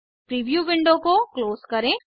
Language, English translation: Hindi, Lets close the preview window